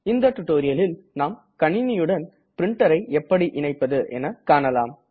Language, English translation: Tamil, In this tutorial, we will learn to connect a printer to a computer